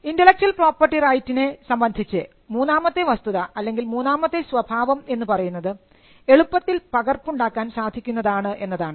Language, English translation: Malayalam, The third thing about an intellectual property right is the fact that you can easily replicate it